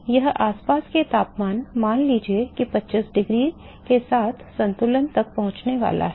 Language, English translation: Hindi, So, it is going to reach equilibrium with the surrounding temperature let us say 25 degrees